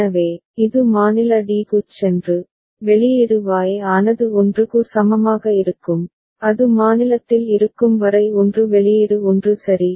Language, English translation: Tamil, So, it goes to state d and generates the output Y is equal to 1 as long as it is in state d output remains at 1 ok